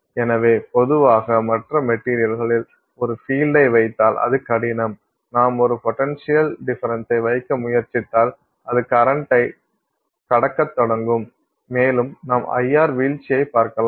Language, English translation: Tamil, So, normally in other materials, in metals it is difficult if you put a field, if you try to put a potential difference it will start passing current and you will simply see the IR drop